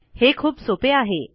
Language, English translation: Marathi, This is going to be quite simple